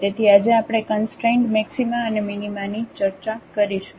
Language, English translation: Gujarati, So, today we will discuss the Constrained Maxima and Minima